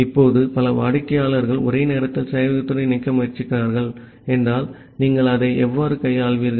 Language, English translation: Tamil, Now, if multiple clients are trying to connect to the server simultaneously, then how will you handle that thing